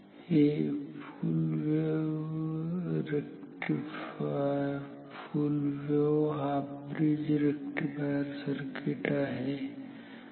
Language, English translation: Marathi, This is also very similar full wave half bridge rectifier ok